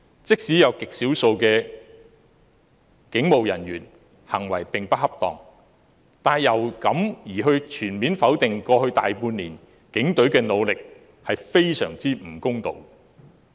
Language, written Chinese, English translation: Cantonese, 即使有極少數的警務人員行為不恰當，但因此便全面否定過去大半年警隊的努力，是非常不公道。, Even if police officers have behaved improperly in some rare cases it is completely unfair to deny the efforts of the Police all together during the past year or so